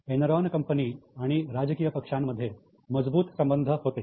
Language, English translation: Marathi, There was a very strong relationship with Enron and political parties